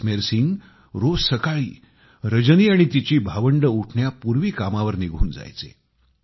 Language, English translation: Marathi, Early every morning, Jasmer Singh used to leave for work before Rajani and her siblings woke up